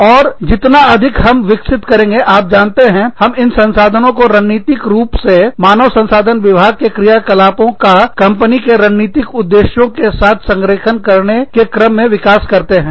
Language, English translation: Hindi, And, the more, we develop the, you know, we develop these resources, in order to, strategically align the functions of the human resources department, with the strategic objectives of the company